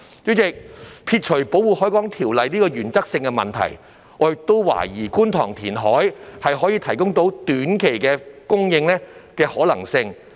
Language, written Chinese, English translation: Cantonese, 主席，撇除《條例》這個原則性的問題，我亦懷疑觀塘填海可以提供短期土地供應的可能性。, President putting aside the Ordinance which concerns a matter of principle I also doubt if it is possible that the Kwun Tong reclamation can provide short - term land supply